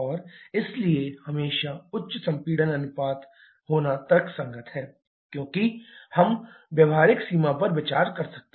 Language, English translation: Hindi, And therefore it is always logical to have higher compression ratio as much as we can considering the practical limit